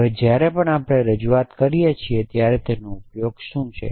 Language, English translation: Gujarati, So, whenever we do representation what is the use